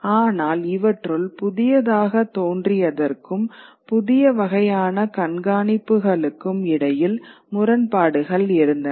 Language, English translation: Tamil, But these were coming into conflict with what was the new knowledge that was coming in and the new kinds of observation that were happening